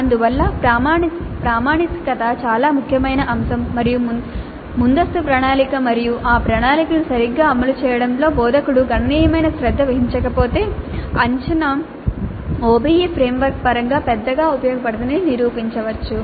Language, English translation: Telugu, So the validity is an extremely important aspect and unless the instructor exercises considerable care in advance planning and execution of that plan properly, the assessment may prove to be of not much use in terms of the OBE framework